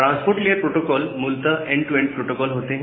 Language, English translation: Hindi, So, this transport layer protocols are basically the end to end protocols